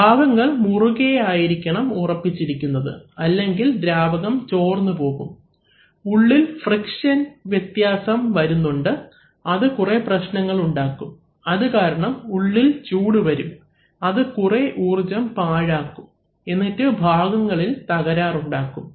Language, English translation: Malayalam, Unless the parts are tightly fitting then the fluid is going to leak out all over the place, so therefore there is an amount of friction which is likely and that is going to create lot of problems it going to create heat, it is going to waste energy and it is going to damage the parts